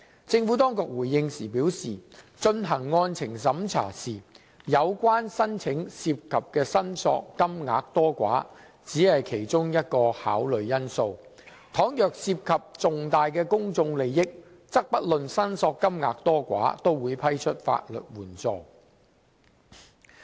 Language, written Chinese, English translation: Cantonese, 政府當局回應時表示，進行案情審查時，有關申請涉及的申索金額多寡，只是其中一項考慮因素，倘若涉及重大公眾利益，則不論申索金額多寡，也會批出法律援助。, In response the Administration states that the amount of claims from the legal proceedings is only one of the many factors to be considered in conducting the merits test . If significant public interests are involved legal aid will be granted regardless of the amount of claim